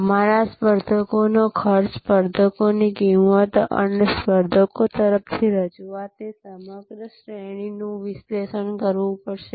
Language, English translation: Gujarati, We also have to analyze the competitors costs, competitors prices and the entire range of offering from the competitors